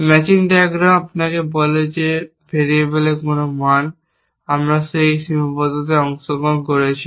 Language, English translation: Bengali, The matching diagram tells you which values of variables, our participating in those constrains, when we say